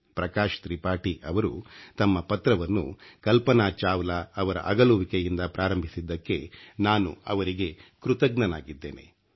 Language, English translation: Kannada, I am thankful to Bhai Prakash ji for beginning his long letter with the sad departure of Kalpana Chawla